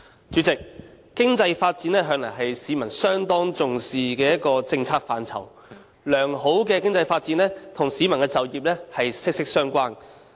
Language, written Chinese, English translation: Cantonese, 主席，經濟發展向來是市民相當重視的一項政策範疇，良好的經濟發展與市民的就業息息相關。, President economic development has always been an important concern of the public as good economic development and employment prospects are closely related